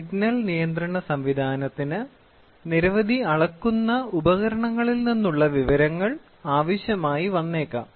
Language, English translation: Malayalam, Then the signal control system may require information from many measuring instruments